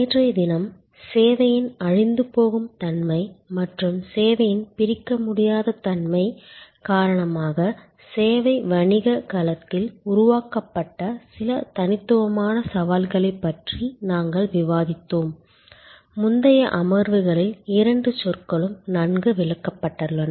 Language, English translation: Tamil, Yesterday, we were discussing about some unique challenges created in the service business domain due to the perishable nature of service and due to inseparable nature of service, both terminologies have been well explained in the previous sessions